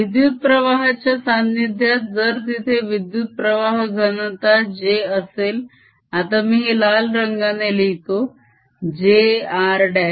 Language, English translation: Marathi, now, in presence of currents, if there is a current density, j, now let me write with red j r prime